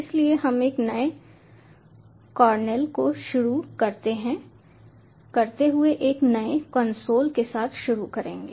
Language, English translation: Hindi, so we will start off with a fresh console, starting a new cornel, so you can also write over here